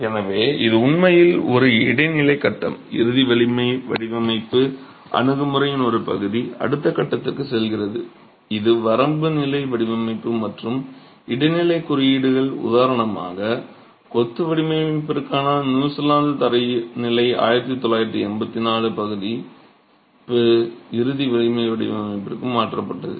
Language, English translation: Tamil, Part of the ultimate strength design approach goes into the next phase which is a limit state design and transitory codes, for example the 1984 version of New Zealand standards for design of masonry moved into the ultimate strength design itself